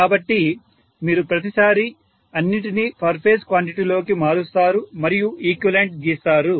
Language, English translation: Telugu, So you will always convert everything into per phase quantity and draw the equivalent circuit